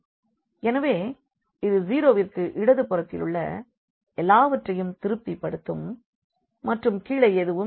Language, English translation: Tamil, So, it satisfied that everything left to the 0 and there is nothing to go to the bottom